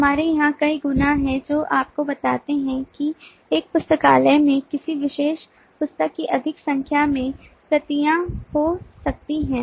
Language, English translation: Hindi, we have multiples here which tell you that a library can have more, any number of copies of a particular book